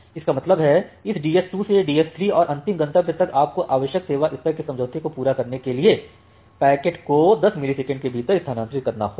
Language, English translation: Hindi, From the source to DS 1; that means, from this DS 2 to DS 3 and final destination you have to transfer the packet within 10 millisecond, to meet the required service level agreement